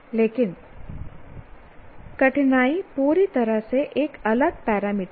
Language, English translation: Hindi, But difficulty is completely a different parameter altogether